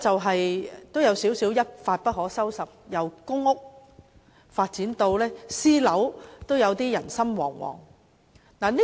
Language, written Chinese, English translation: Cantonese, 事件有一點一發不可收拾之勢，由公屋發展至私人樓宇，居民無不人心惶惶。, Things have got out of control and spread from public rental housing PRH estates to private residential buildings where all residents were plunged into panic